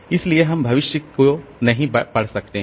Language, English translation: Hindi, So, we can't read the future